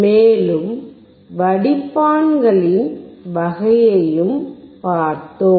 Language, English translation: Tamil, And we have also seen the type of filters